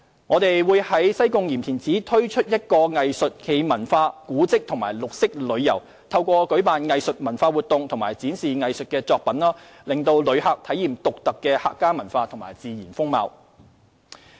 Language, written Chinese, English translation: Cantonese, 我們會在西貢鹽田梓推出一個結合藝術、文化、古蹟及綠色旅遊的活動，透過舉辦藝術文化活動和展示藝術作品，讓旅客體驗獨特的客家文化及自然風貌。, We will also launch an activity combining art tourism cultural tourism heritage tourism and green tourism through organizing art and cultural activities and showcasing art pieces to enable tourists to experience the unique Hakka culture and character